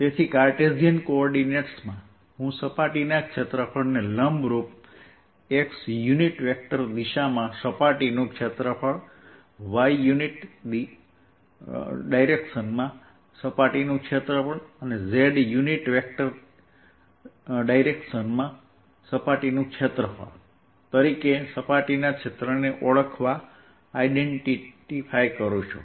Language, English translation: Gujarati, so in cartesian coordinates i want to identify surface area perpendicular: surface area in x direction, surface area in y direction and surface area in z direction